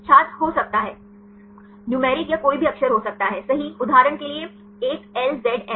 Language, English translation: Hindi, Can be That can be numeric or any alphabets right the for example, 1LZM